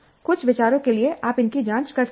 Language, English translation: Hindi, You can examine this for some of these ideas